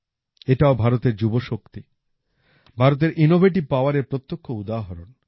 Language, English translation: Bengali, This too, is a direct example of India's youth power; India's innovative power